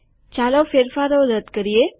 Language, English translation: Gujarati, Let us undo the changes